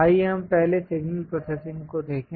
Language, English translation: Hindi, Let us look at first signal processing